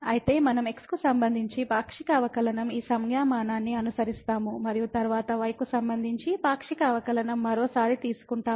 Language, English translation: Telugu, So, we will be following this notation the partial derivative with respect to and then we take once again the partial derivative with respect to